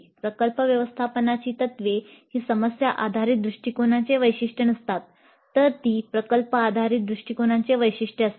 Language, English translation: Marathi, So the project management principles that is not a key feature of problem based approach while it is a key feature of project based approach